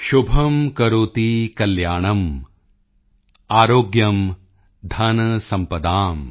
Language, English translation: Punjabi, Shubham Karoti Kalyanam, Aarogyam Dhansampadaa